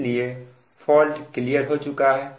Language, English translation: Hindi, so at this point c the fault is cleared